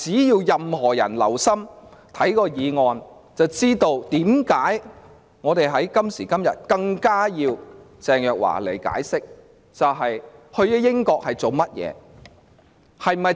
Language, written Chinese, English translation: Cantonese, 任何人只要留心議案內容，自會知道為何我們今時今日更加需要鄭若驊前來解釋她到英國的目的。, Anyone who has paid attention to the wording of the motion should know why at this moment in time we have an even more pressing need to summon Teresa CHENG to account for the purpose of her visit to the United Kingdom